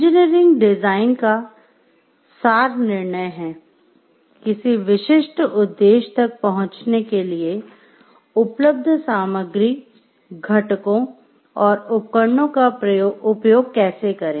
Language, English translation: Hindi, The essence of engineering design is the judgment: how to use the available materials components and devices to reach a specific objective